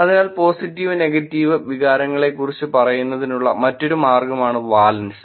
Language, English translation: Malayalam, So, valence is another way of saying about the positive and negative sentiment